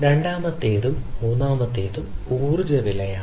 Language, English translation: Malayalam, The second, the third one is the energy prices